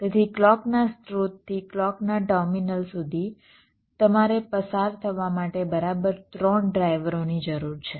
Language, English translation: Gujarati, so from the clock source to the clock terminals, you need exactly three drivers to be traversed